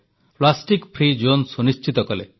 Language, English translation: Odia, They ensured plastic free zones